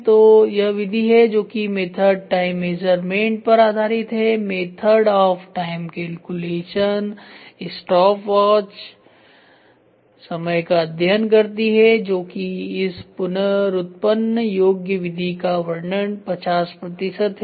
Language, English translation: Hindi, So, this is method based on method time measurement standards, method of time calculation, stopwatch time study this reproducibility method description is 50 percent